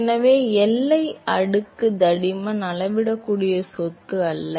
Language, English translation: Tamil, So, the boundary layer thickness is not a measurable property